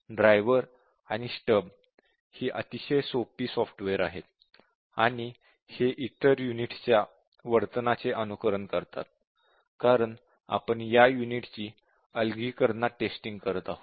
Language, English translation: Marathi, These are very simple software, the driver and stub and these simulate the behavior of the other units, because we are testing this unit in isolation